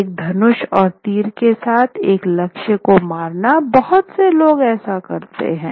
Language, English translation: Hindi, Hitting a target with a bow and arrow is a lot of people do that